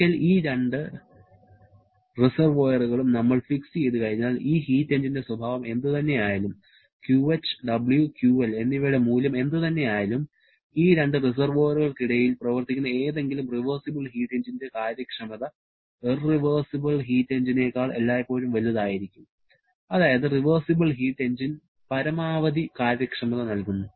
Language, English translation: Malayalam, Then, it is saying that once we have fixed up these 2 reservoirs, then whatever may be the nature of this heat engine, whatever may be the magnitude of QH, W and QL, the efficiency of any reversible heat engine working between these 2 reservoirs will always be greater than any irreversible heat engine that is a reversible heat engine is going to give the maximum possible efficiency